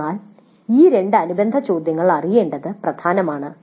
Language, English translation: Malayalam, So it is important to know these two related questions